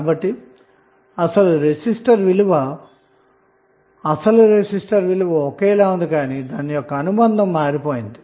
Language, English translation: Telugu, So although resistor value is same but, its value will remain same but, the association has changed